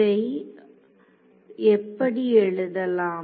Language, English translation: Tamil, So, let us write this how